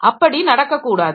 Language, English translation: Tamil, So, that should not happen